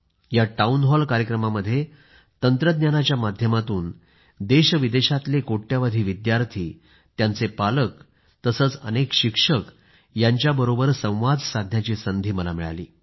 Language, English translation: Marathi, In this Town Hall programme, I had the opportunity to talk with crores of students from India and abroad, and also with their parents and teachers; a possibility through the aegis of technology